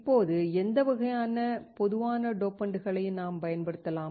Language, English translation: Tamil, Now, what kind of common dopants can we use